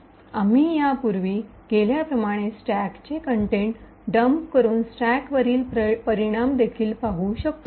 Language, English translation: Marathi, We can also see the effect on the stack by dumping the stack contents as we have done before